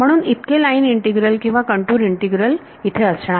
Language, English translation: Marathi, So, those many line integrals or contour integrals are going to be there ok